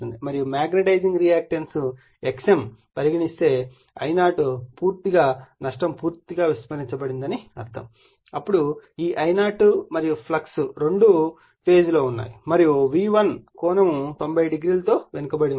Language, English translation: Telugu, And if you take the magnetizing m call magnetizing reactance right x m then you will see that I0 is purely I mean loss is neglected then this I0 and ∅ both are in phase and lagging from V1 / 90 degree